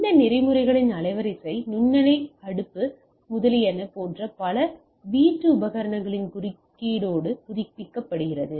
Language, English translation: Tamil, The bandwidth of all this protocols updates with interference from the several other home appliances right like microwave oven etcetera